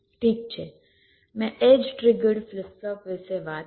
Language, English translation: Gujarati, well, i talked about edge trigged flip flop